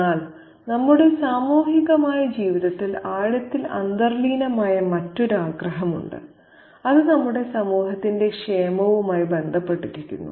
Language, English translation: Malayalam, But there is another wish deeply inherent in our social life which is concerned with the welfare of our community